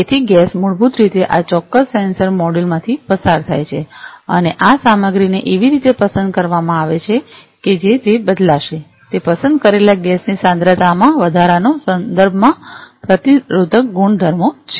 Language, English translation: Gujarati, So, gas basically is passed through this particular sensor module and this material is chosen in such a way that it is going to change it is resistive properties with respect to the concentration increase in concentration of the chosen gas